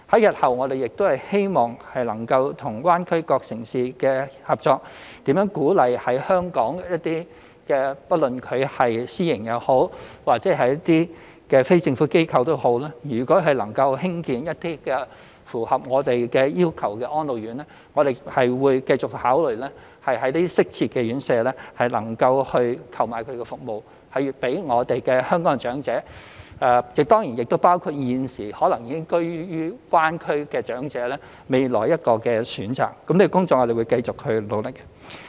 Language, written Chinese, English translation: Cantonese, 日後，我們希望能夠與大灣區各城市合作，鼓勵香港不論是私營或非政府機構，如能興建一些符合我們要求的安老院，我們會繼續考慮在適切的院舍購買服務予香港的長者，當然亦包括現時可能已居於大灣區的長者，讓他們未來有多一個選擇，這些工作我們會繼續努力。, We hope that we can later cooperate with other GBA cities and encourage Hong Kongs private organizations and NGOs to build RCHEs which meet our requirements . We will continue to purchase services from the suitable RCHEs for Hong Kongs elderly including of course those who have already resided in GBA to give them one more choice . We will continue to pursue our efforts in this respect